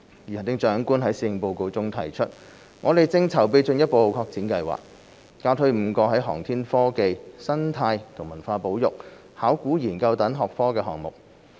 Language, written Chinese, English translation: Cantonese, 如行政長官在施政報告中提出，我們正籌備進一步擴展計劃，加推5個在航天科技、生態和文化保育、考古研究等學科的項目。, As indicated by the Chief Executive in the Policy Address we are preparing to further expand the programmes and launch five additional programmes in such disciplines as aviation and aerospace technology ecological and cultural conservation and archaeology